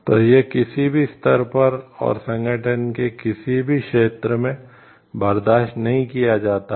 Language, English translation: Hindi, So, it is not tolerated in like at any level and or in any area of the organization